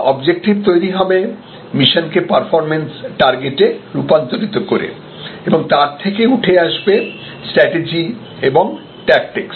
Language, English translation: Bengali, So, this is objective, that is how to convert the mission into performance targets and then out of that comes strategy and tactics